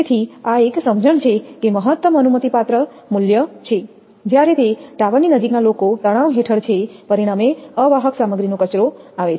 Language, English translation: Gujarati, So, this is an understanding that that maximum allowable value, while those near the tower it are considerably under stress resulting in a waste of insulating material